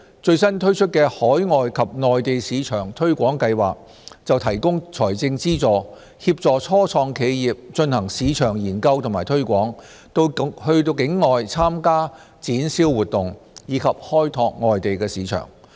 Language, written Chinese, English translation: Cantonese, 最新推出的"海外及內地市場推廣計劃"則提供財政資助，協助初創企業進行市場研究和推廣、到境外參加展銷活動，以及開拓外地市場。, The newly - launched OverseasMainland Market Development Support Scheme provides financial subsidy to support start - ups in conducting market research and promotion participating in trade fairs outside Hong Kong and expanding into overseas markets